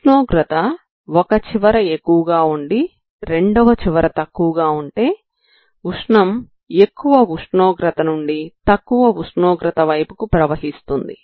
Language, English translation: Telugu, So you will have if it is a temperature is high here temperature is low the heat is flowing from high temperature to low temperature that is this direction